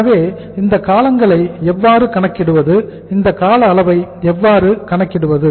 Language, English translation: Tamil, So how to calculate these periods how to calculate these durations